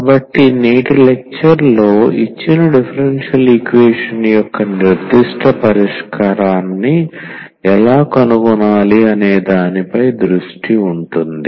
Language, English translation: Telugu, So, in today’s lecture, our focus will be how to find a particular solution of the given differential equation